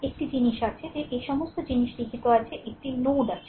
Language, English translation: Bengali, One thing is there that all this things are written that there is a node a right